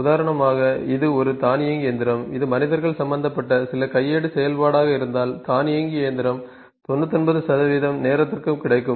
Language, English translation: Tamil, For instance it is an automated machine, automated machine can be available for the 99 percent of the time